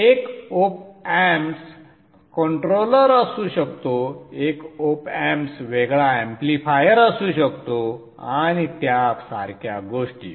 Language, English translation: Marathi, So one op am can be a controller, one op m can be a difference amplifier and things like that